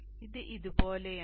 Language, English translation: Malayalam, So it is like this